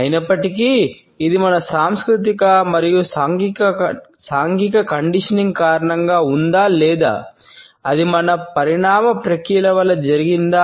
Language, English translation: Telugu, However, whether it is owing to our cultural and social conditioning or it is because of our indeed evolutionary processes